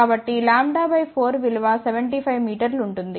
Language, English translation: Telugu, So, lambda by 4 will be 75 meter